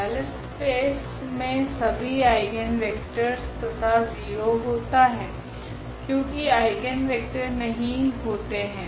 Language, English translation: Hindi, In the null space carries all the eigenvectors plus the 0 vector because the 0 is not the eigenvector